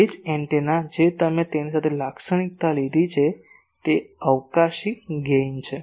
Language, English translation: Gujarati, So, that the same antenna which you have characterized with it is spatial gain